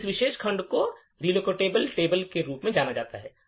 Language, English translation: Hindi, So, this particular section is known as the Relocatable Table